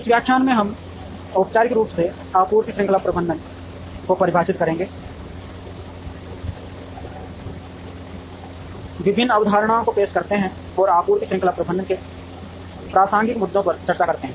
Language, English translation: Hindi, In this lecture, we formally define Supply Chain Management, introduce the various concepts, and discuss relevant issues in supply chain management